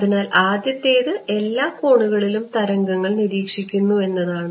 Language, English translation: Malayalam, So, the first is going to be that it works it observes waves at all angles ok